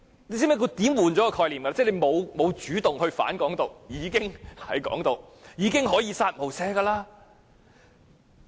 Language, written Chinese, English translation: Cantonese, 大家可有發現，這是轉換概念的說法，意即沒有主動"反港獨"便已屬鼓吹"港獨"，可以"殺無赦"。, I wonder if Members notice that this is actually a disguised replacement of concept meaning that anyone who has not taken active action against Hong Kong independence is a Hong Kong independence advocate who can be killed with no mercy